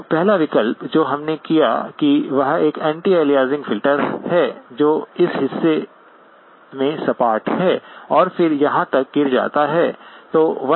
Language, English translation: Hindi, Now first option that we have done is an anti aliasing filter, which is flat in this portion and then drops off up to here